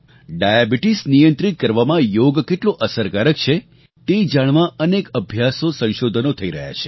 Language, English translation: Gujarati, There are several studies being conducted on how Yoga is effective in curbing diabetes